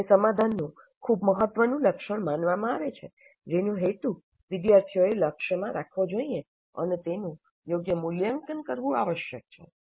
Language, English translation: Gujarati, That is considered as very important feature of the solution that the students must aim it and it must be assessed appropriately